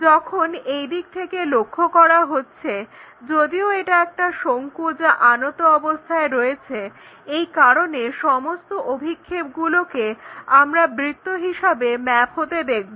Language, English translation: Bengali, When you are looking from this direction though it is a cone which is inclined, but because of this projection we always see everything mapped to this circle